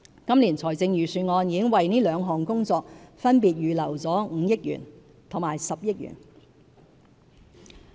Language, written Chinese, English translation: Cantonese, 今年財政預算案已為這兩項工作分別預留了5億元和10億元。, We have earmarked 500 million and 1 billion in this years Budget for these two initiatives respectively